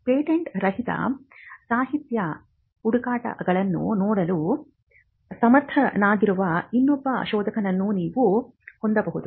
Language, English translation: Kannada, You could have another searcher who is who has the competence to look at non patent literature searches